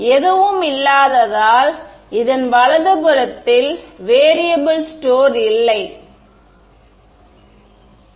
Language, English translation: Tamil, So, because there is nothing there is no variable store to the right of this boundary